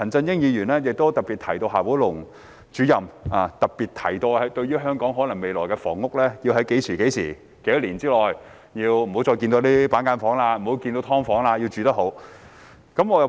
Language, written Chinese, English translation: Cantonese, 另一方面，陳振英議員特別提到，就香港未來的房屋，夏寶龍主任強調要在多少年之內不要再看到板間房、"劏房"，要住得好。, On the other hand Mr CHAN Chun - ying highlighted the emphasis made by Director XIA Baolong in relation to future housing in Hong Kong that cubicle apartments and subdivided flats should disappear in a certain number of years to make way for good accommodation